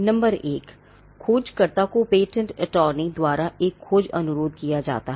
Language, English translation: Hindi, Number one, a search request is made by the patent attorney to the searcher